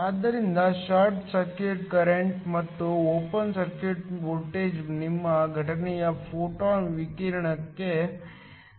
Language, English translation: Kannada, So, the short circuit current, and the open circuit voltage to your incident photon radiation